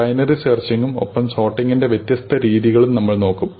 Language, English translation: Malayalam, So, we will look at binary search and we will look at different notions of sorting